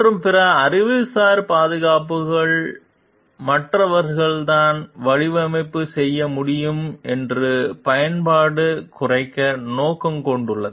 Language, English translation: Tamil, And other intellectual protections are intended to limit the use that others can make of ones design